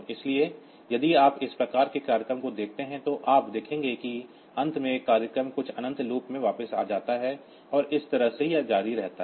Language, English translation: Hindi, So, you can if you look into that this type of programs then you will see that at the end the program branches back to some infinite loop and that way it continues